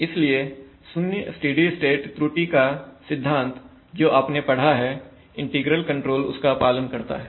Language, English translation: Hindi, So the zero steady state error concept that you have studied for the integral control holds